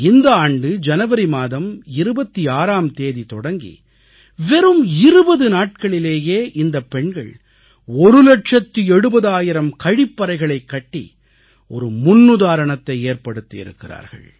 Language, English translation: Tamil, Under the auspices of this campaign starting from January 26, 2018, these women constructed 1 lakh 70 thousand toilets in just 20 days and made a record of sorts